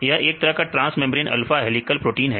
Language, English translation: Hindi, This the transmembrane helical proteins